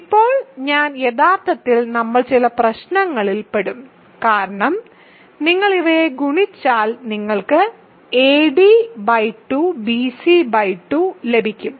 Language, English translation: Malayalam, So, now I actually we will run into some problems because if you multiply these, you get a c ad by 2 bc by 2